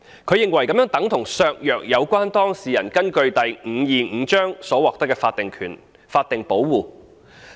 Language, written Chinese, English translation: Cantonese, 他認為這樣等同削弱有關當事人根據第525章所獲得的法定保護。, He considers that will be tantamount to undermining the statutory protection for the subject persons concerned under Cap . 525